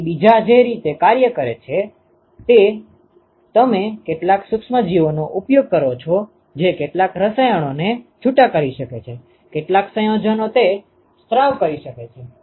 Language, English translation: Gujarati, So, the way the second one works is you use some of the microorganisms which can secrete some chemicals, some compounds it can secrete